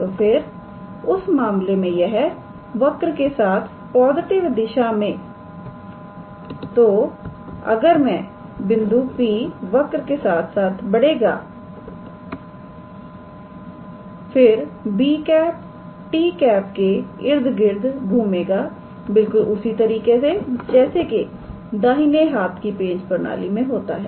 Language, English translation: Hindi, So, then in that case it will be along the curve in the positive, so it will then as the point P moves along the curve then b will revolves about t in the same sense as a right handed screw system